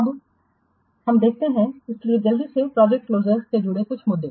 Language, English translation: Hindi, So, quickly some of the issues associated with project termination